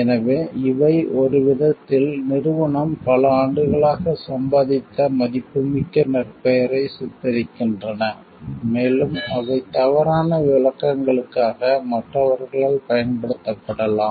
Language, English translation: Tamil, So, these in a way depict the valuable reputations which have been earned by the company over years, and could be used for by others for misrepresentations